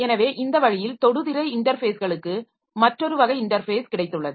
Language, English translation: Tamil, So they have got this touchscreen devices that requires new type of interfaces